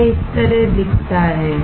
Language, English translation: Hindi, This is how it looks like